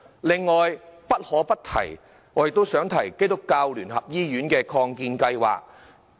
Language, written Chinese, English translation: Cantonese, 另外，不可不提的是基督教聯合醫院的擴建計劃。, Moreover what must be mentioned is the United Christian Hospital expansion project